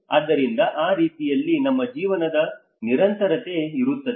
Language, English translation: Kannada, So in that way, your continuity of your life will be there